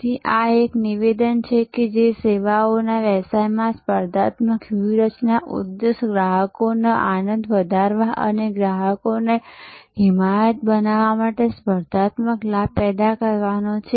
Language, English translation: Gujarati, So, this is a statement that the objective of a competitive strategy in services business is to generate a competitive advantage to enhance customers delight and create customer advocacy